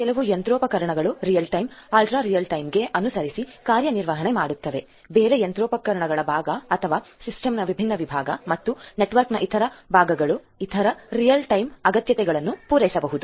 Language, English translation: Kannada, Some machinery might be catering to real time ultra real time requirements whereas, other parts of the other machinery and other parts of the system then other parts of the network might be catering to other non real time requirements and so on